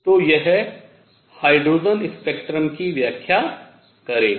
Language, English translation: Hindi, So, it will explain hydrogen spectrum